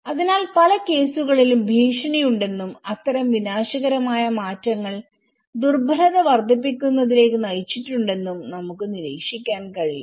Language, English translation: Malayalam, So in many cases, we can observe that there is threat and such kind of cataclysmic changes have led to increase vulnerability